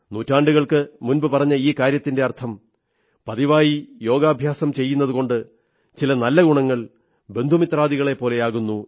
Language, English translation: Malayalam, Thisobservation expressed centuries ago, straightaway implies that practicing yogic exercises on a regular basis leads to imbibing benefic attributes which stand by our side like relatives and friends